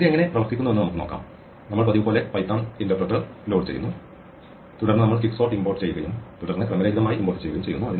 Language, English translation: Malayalam, Let us see how this works, we load as usual the python interpreter and then we import quicksort and then we import randomize